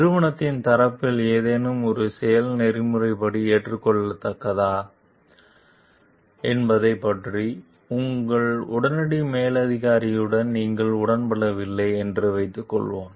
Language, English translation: Tamil, Suppose you find yourself disagreeing with your immediate super superior about whether some action on the part of the organization is ethically acceptable